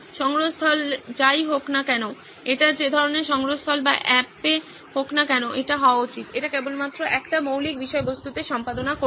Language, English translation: Bengali, The repository irrespective of its, whether it is that kind of repository or on the app, it should, it will only be editing on that one basic content